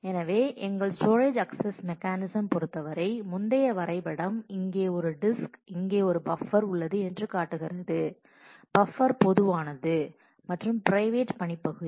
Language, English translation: Tamil, So, in terms of our storage access mechanism, the same eh earlier diagram, this is here is a disk, here is a buffer, the buffer is common and the private work area